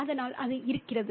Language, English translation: Tamil, So that's there